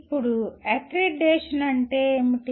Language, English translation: Telugu, Now, what is accreditation